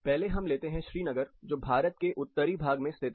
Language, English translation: Hindi, First let us take a location Srinagar, typically Northern part of India